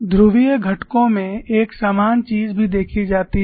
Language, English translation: Hindi, You are going to get polar components